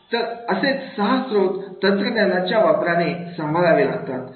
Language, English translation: Marathi, So these six resources can be managed with the use of the technology